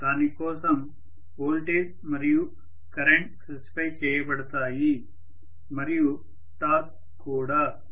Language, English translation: Telugu, The voltage and current will be specified for that, and the torque also,right